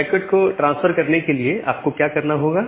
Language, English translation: Hindi, Now, to transfer the packet, what you have to do